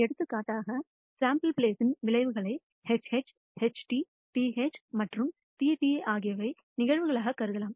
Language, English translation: Tamil, Outcomes of the sample space for example, HH, HT, TH and TT can also be considered as events